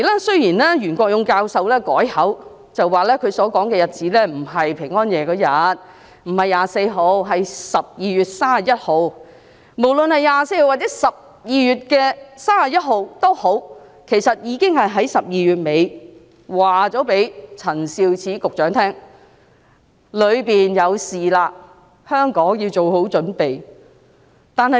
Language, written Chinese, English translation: Cantonese, 雖然袁國勇教授後來改口，指他說的日子不是12月24日平安夜當天，而是12月31日，無論是12月24日或31日，他已經在12月底告訴陳肇始局長，內地有事情發生，香港要做好準備。, Although Prof YUEN Kwok - yung later corrected himself by saying that the date he mentioned was not 24 December but 31 December . Be it 24 or 31 December he notified Secretary Prof Sophia CHAN in the end of December that there was something happening in the Mainland and Hong Kong should get prepared